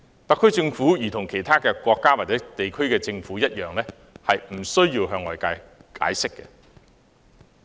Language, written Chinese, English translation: Cantonese, 特區政府如同其他國家或政府一樣，不需要向外界解釋。, Like other countries and governments the SAR Government does not need to give an explanation